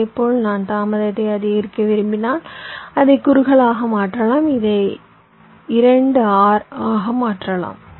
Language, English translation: Tamil, similarly, if i want to increase the delay, i can make it narrower, i can make it two r